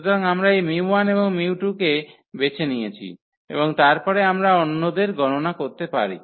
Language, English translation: Bengali, So, we have chosen this mu 1 and mu 2 and then we can compute the others